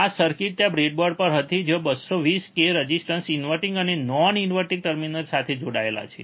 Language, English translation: Gujarati, This circuit was there on the breadboard, where you have seen 220 k resistors connected to the inverting and non inverting terminal